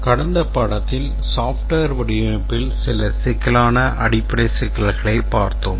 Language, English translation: Tamil, In the lecture, in the last lecture we had looked at some very basic issues in software design